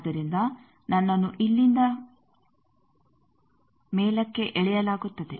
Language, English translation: Kannada, So, I will be pulled from here to top